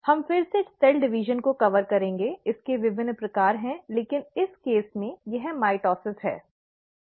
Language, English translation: Hindi, We’ll again cover cell division, there are different types of it, but here in this case it is mitosis